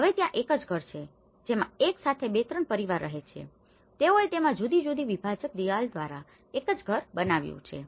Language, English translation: Gujarati, Now there is one single house which is having like two or three families together they made one single house having different partitions